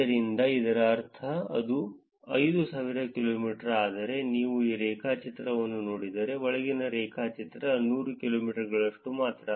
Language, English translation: Kannada, So, this is meaning, this is 5000 kilometers, but as if you look at this graph the inside graph is only for 100 kilometers